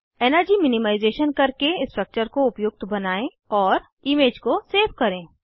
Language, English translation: Hindi, Do the energy minimization to optimize the structure